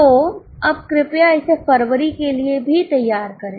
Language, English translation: Hindi, So, now please prepare it for February also